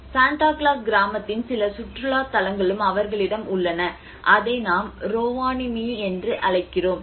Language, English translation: Tamil, They have also some tourist attractions of Santa Claus village which we call it as Rovaniemi